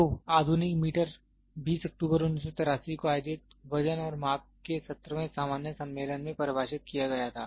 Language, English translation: Hindi, So, the modern meter was defined in the 17th general conference of weights and measurement held on 20th October 1983